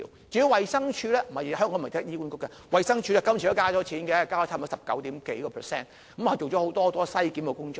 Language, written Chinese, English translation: Cantonese, 至於衞生署，香港不是只有醫管局，衞生署這次都增加了撥款，增加了差不多十九點幾個百分點，做了很多篩檢工作。, In Hong Kong apart from HA we also have the Department of Health DH which has done a lot of screening work . This time the funding provision for DH has also increased by 19 % or so